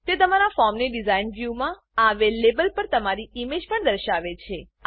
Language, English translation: Gujarati, It also displays your image on the label in the Design view of your form